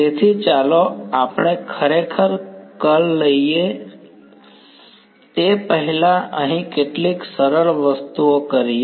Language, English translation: Gujarati, So, let us before we actually take the curl is do some simple sort of things over here